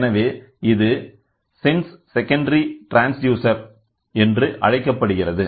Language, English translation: Tamil, Hence, it is called as sense secondary transducer